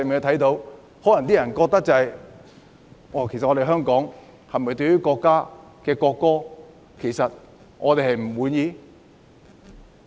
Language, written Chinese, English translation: Cantonese, 可能外國人會覺得香港人對國家的國歌是否不滿？, Foreigners may wonder if the people of Hong Kong are unhappy with their countrys national anthem